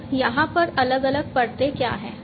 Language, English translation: Hindi, So, what are the different layers over here